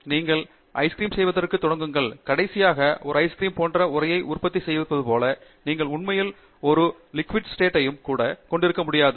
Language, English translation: Tamil, It’s like you start off making ice cream, and finally, you have a frozen product as an ice cream, you cannot really have a liquid state also